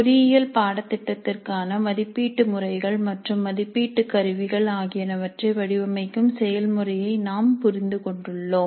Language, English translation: Tamil, We understood the process of designing assessment pattern and assessment instruments for an engineering course